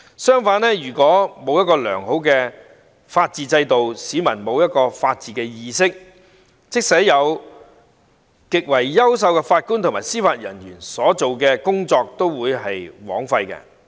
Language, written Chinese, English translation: Cantonese, 相反，如果沒有良好的法治制度，市民沒有法治意識，即使擁有極優秀的法官和司法人員，所做的工作都會白費。, Contrarily in the absence of good rule of law and absence of awareness of the rule of law among members of the public all efforts will become futile even if we have excellent JJOs